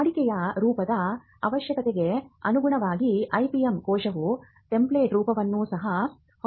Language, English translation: Kannada, So, depending on the routine forms that are required the IPM cell can also have template forms